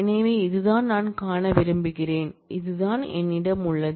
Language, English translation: Tamil, So, this is what I want visible and this is what I have